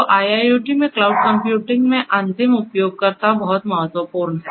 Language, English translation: Hindi, So, end users are very important in cloud computing in IIoT